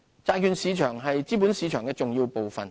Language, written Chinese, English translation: Cantonese, 債券市場是資本市場的重要部分。, The bond market is a key component of the capital market